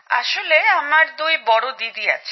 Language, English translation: Bengali, Actually I have two elder sisters, sir